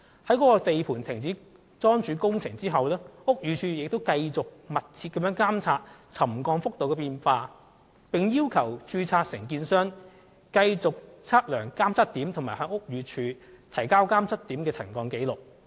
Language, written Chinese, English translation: Cantonese, 該地盤停止樁柱工程後，屋宇署仍繼續密切監察沉降幅度的變化，並要求註冊承建商繼續測量監測點，以及向屋宇署提交監測點的沉降紀錄。, After the suspension of the piling works at the construction site BD still kept a close watch on the changes of subsidence level . Also the registered contractor was asked to continue to take measurement at the monitoring checkpoints and to submit to BD the subsidence records of the monitoring checkpoints